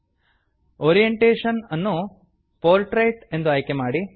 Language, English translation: Kannada, Choose Orientation as Portrait